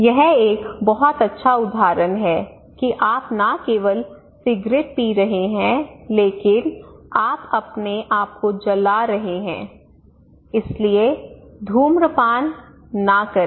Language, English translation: Hindi, Also, this one is a very good example that you should not smoke if you are smoking actually not only cigarette, but you are burning yourself right so do not smoke